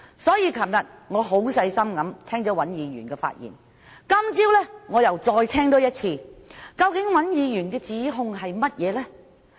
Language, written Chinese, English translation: Cantonese, 所以，昨天我很細心聆聽尹議員的發言，今早我又再多聽一次，究竟尹議員的指控是甚麼？, I have very carefully listened to his speech yesterday and I have listened to it again this morning . What really are Mr WANs accusations?